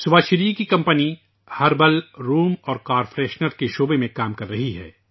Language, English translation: Urdu, Subhashree ji's company is working in the field of herbal room and car fresheners